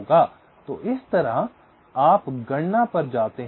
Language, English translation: Hindi, so in this way you go on calculating